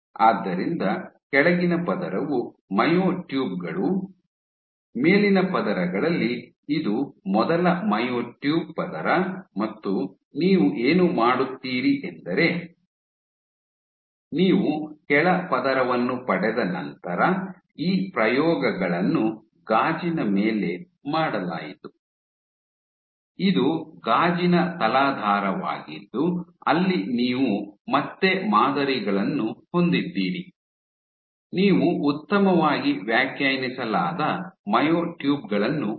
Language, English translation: Kannada, So, the bottom layer is myotubes, on the top layers this is the first layer myotube layer one, and you on what you do is after you get a bottom layer these experiments were done on glass this is a glass substrate where you again have patterns so, that you can get well defined myotubes